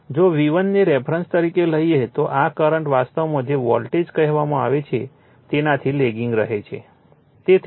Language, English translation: Gujarati, If you take your V1 as a reference so, this current actually lagging from your what you call the voltage